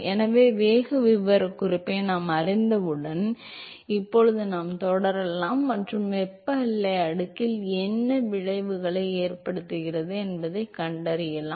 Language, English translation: Tamil, So, once we know the velocity profile, now we can proceed and find out what does it effects on the thermal boundary layer